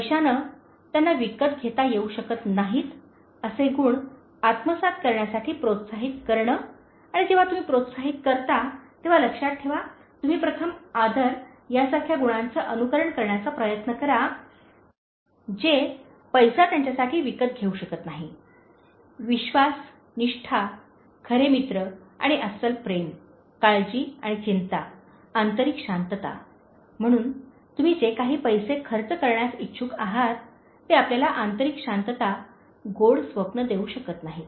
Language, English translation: Marathi, Encouraging them to acquire those qualities that money cannot buy for them and remember when you encourage, you first try to emulate those qualities such as respect, so money cannot buy trust, loyalty, true friends and genuine love, care and concern, inner peace, so, whatever money you are willing to spend you cannot give that inner peace, sweet dreams